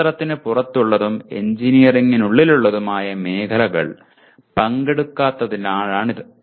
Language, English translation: Malayalam, And that is because the area that is outside science and inside engineering has not been attended to